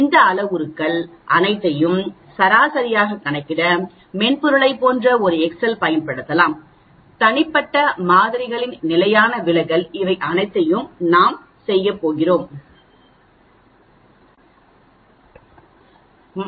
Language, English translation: Tamil, We can use a excel like software to calculate all these parameters the mean, the standard deviation of the individual samples all these things that is what we are going to do